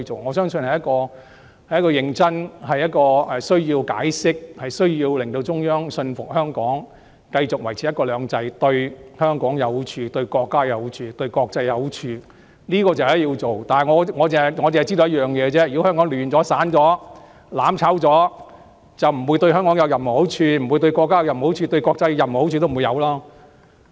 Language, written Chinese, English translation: Cantonese, 我相信需要認真地解釋，令中央信服香港繼續維持"一國兩制"對香港、對國家、對國際都有好處，這是必須做的，但我亦知道一點，也就是如果香港亂了、散了、"攬炒"了，便不會對香港、對國家、對國際有任何好處。, I believe it is necessary to seriously make explanations to convince the Central Authorities that the continuous implementation of one country two systems is beneficial to Hong Kong to the country and to the international community . This must be done . But I am also aware of one point and that is if Hong Kong is in chaos in tatters or made to perish together that would not do any good to Hong Kong; nor to the country and the international community